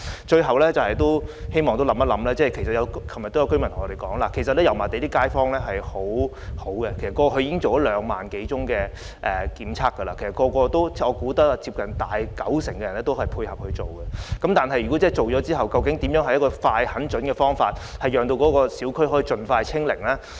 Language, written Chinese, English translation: Cantonese, 最後，我希望當局考慮的是，正如昨晚也有居民向我們提出，油麻地的街坊十分合作，過去已進行兩萬多次檢測，我相信接近九成居民也配合檢測，但檢測之後，如何用一個快、狠、準的方法讓小區可以盡快"清零"呢？, Lastly another point that I hope the authorities can consider is that just as residents said to us last night the residents in Yau Ma Tei are very cooperative as more than 20 000 tests have already been conducted there . I think close to 90 % of the residents have taken the test . But after testing what steps can be taken in a prompt resolute and pertinent manner for zero infection to be achieved as soon as possible in the communities?